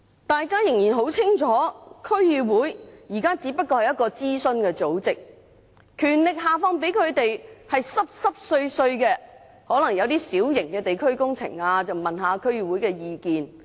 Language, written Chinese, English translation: Cantonese, 大家很清楚，區議會現在仍只不過是一個諮詢組織，下放給它們的只是一些微不足道的權力，例如一些小型地區工程進行前會諮詢一下區議會意見。, We all know it very well that DCs still remain an advisory body vested with negligible powers for example they would be consulted before some small - scale local works are carried out